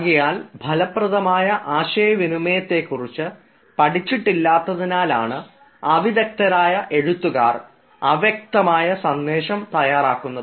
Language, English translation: Malayalam, so we can say that unskilled writers they create foggy messages because they have not learnt the hard to communicate effectively and clearly